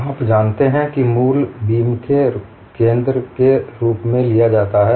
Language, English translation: Hindi, The origin is taken as the center of the beam